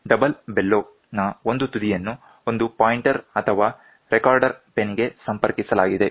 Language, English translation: Kannada, One end of the double bellow is connected to the pointer or to the pen